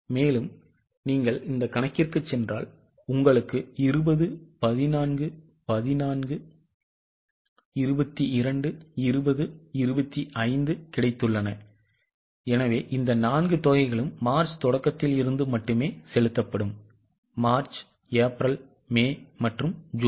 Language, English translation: Tamil, So, if you go here you have got 20 14 14, 14, 20 25 So, these four amounts only will be paid from the beginning of March, March, April, May and June